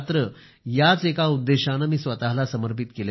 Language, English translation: Marathi, I have now dedicated myself for this purpose only